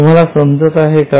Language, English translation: Marathi, Are you getting it